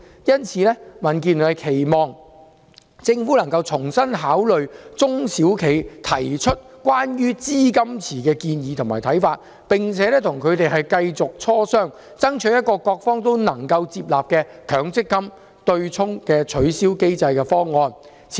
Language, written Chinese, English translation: Cantonese, 因此，民建聯期望政府重新考慮中小企提出有關資金池的建議和看法，並且繼續與中小企磋商，以求得出各方均能接納的取消強積金對沖機制方案。, Therefore DAB hopes that the Government can reconsider the proposal and views put forward by SMEs on setting up a fund pool and continue to negotiate with them in order to come up with a proposal acceptable to all sides for the abolishment of the MPF offsetting mechanism